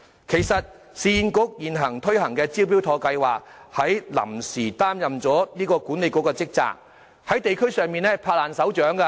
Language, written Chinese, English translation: Cantonese, 其實，市建局現正推行的"招標妥"計劃，已臨時擔任了這個管理局的職責，這計劃在地區上十分受歡迎。, In fact URA which is now implementing the Smart Tender scheme is performing the functions of BMA temporarily . The scheme is well received at the district level